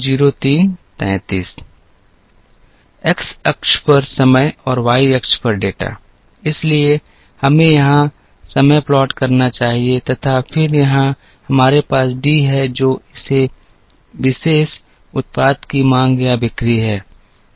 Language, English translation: Hindi, The time on the x axis and the data on the y axis, so let us plot here time and then here, we have D which is the demand or sale for this particular product